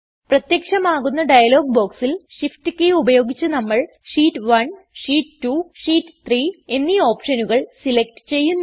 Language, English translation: Malayalam, Now in the dialog box which appears, using shift key we select the options Sheet 1, Sheet 2, and Sheet 3